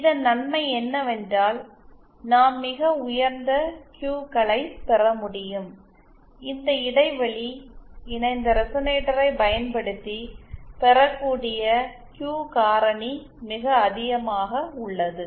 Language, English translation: Tamil, The advantage of this is that we can get very high Qs, the Q factor that can be obtained is very high using this gap coupled resonator